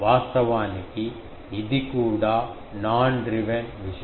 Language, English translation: Telugu, Actually, this is also say non driven thing